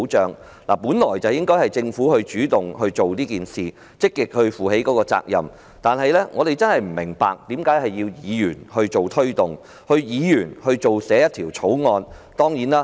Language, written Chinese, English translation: Cantonese, 政府本來應主動推動此事，積極負起責任，但我真的不明白，為何要由議員推動及草擬法案呢？, The Government should have taken forward this matter on its own initiative and proactively assumed responsibility . But I honestly fail to understand why Members should instead be responsible for taking forward this matter and drafting bills